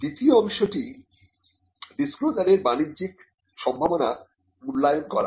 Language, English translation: Bengali, The second part is to evaluate the commercial potential of disclosures